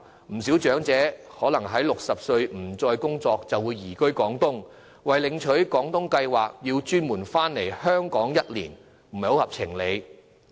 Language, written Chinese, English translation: Cantonese, 不少長者年滿60歲後可能已經不再工作，移居廣東，為領取廣東計劃下的津貼而專程回港居住1年，實在不合情理。, Many elderly persons have probably retired from work and moved to Guangdong on reaching the age of 60 and it would indeed be unreasonable to require them to move back and reside in Hong Kong for one year before they could be granted the benefits under the Guangdong Scheme